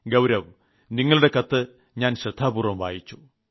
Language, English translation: Malayalam, Gaurav, I have read your letter very carefully